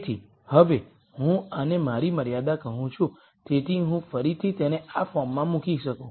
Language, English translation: Gujarati, So, now, I call this my constraint so I can again put it in this form